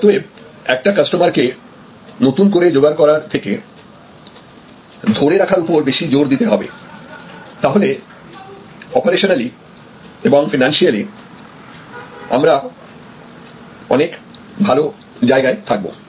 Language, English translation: Bengali, Therefore, the more emphasis you do to retention rather than to acquisition, you will be better of operationally as well as financially